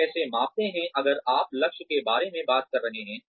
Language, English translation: Hindi, How do you measure, if you are talking about targets